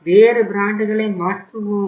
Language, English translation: Tamil, Substitute different brands